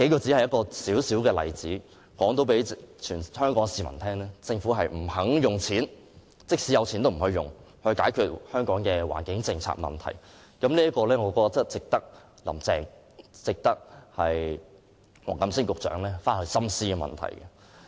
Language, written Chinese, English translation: Cantonese, 這數個微小的例子已可讓全香港市民知道，政府即使有錢，也不願意用來解決香港的環境問題，我認為這問題值得"林鄭"和黃錦星局長深思。, These few small examples can already illustrate to all the people of Hong Kong that even though the Government has money it is unwilling to use it to resolve Hong Kongs environmental problems . I think this issue is worthy of in - depth consideration by Carrie LAM and Secretary WONG Kam - sing